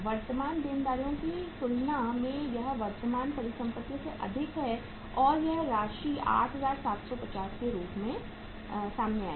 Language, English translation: Hindi, That is excess of current asset over current liabilities and this amount will come out as 8750